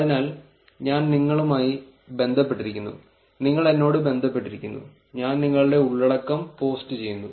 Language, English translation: Malayalam, So, I am connected to you, you are connected to me, and I am posting your content you are posting the content, right